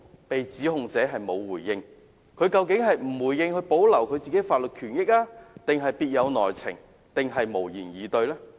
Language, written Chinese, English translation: Cantonese, 被指控者不作回應，究竟是為了保護自己的法律權益，抑或別有內情，還是無言以對？, Is it trying to protect its legal rights? . Are there any inside stories? . Or does it have nothing to say?